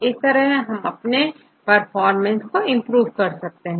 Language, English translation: Hindi, And you can optimize the performance